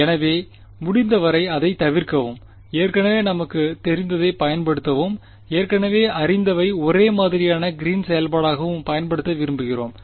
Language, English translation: Tamil, So, we want to avoid that as much as possible and use what we already know and what we already know is a homogeneous Green’s function